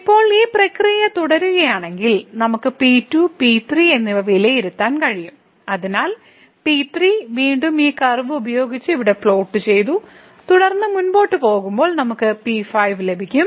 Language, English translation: Malayalam, And now if we continue this process we can evaluate then , so again we have plotted here with this curve and then going further so we will get like